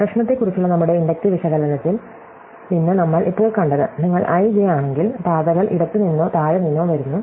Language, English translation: Malayalam, So, what we have just seen from our inductive analysis on the problem is, that if you are at (i,j), then the paths come from left or from below